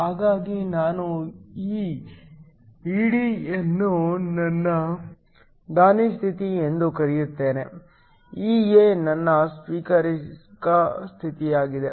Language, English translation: Kannada, So, I will call this ED which is my donor state, EA is my acceptor state